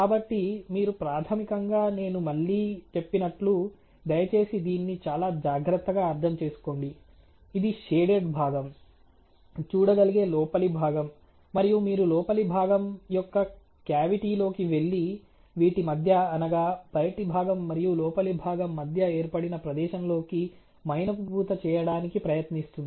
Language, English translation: Telugu, So, you basically as I again told you please understand this very carefully, this is the outer member ok as can seen by the sorry the inner member as can be seen by the shaded region, and you are going into the cavity of the inner member and going into that space which is formulated between the outer member and the inner member and trying to do the wax coating very, very clearly I would like to define this here ok